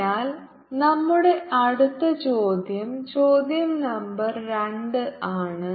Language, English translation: Malayalam, so our next question is question number two